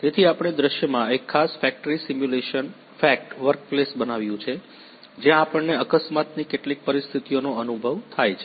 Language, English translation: Gujarati, So, we have developed a particular factory simulation fact workplace in scenario where we experience some of the accident situations